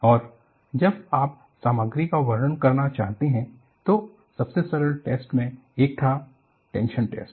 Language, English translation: Hindi, And, when you want to characterize the material, one of the simplest test that was done was, tension test